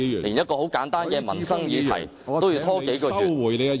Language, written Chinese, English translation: Cantonese, 連簡單的民生議題也要拖延數月。, and even to put this simple livelihood issue on hold for several months